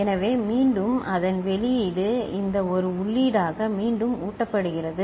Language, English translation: Tamil, So, again the output of it is feed back as input of this one